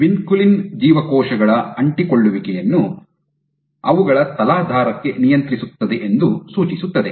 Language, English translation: Kannada, So, suggesting that vinculin actually regulates the adhesiveness of cells to their substrate